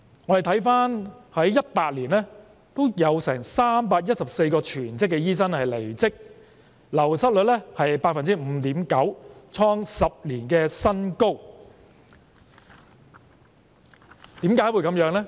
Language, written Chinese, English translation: Cantonese, 我們回顧在2018年，有314名全職醫生離職，流失率是 5.9%， 創下10年新高，為何會這樣呢？, Looking back in 2018 there were 314 full - time medical practitioners who quitted their jobs . The attrition rate was 5.9 % a new high in a decade . Why would there be such a case?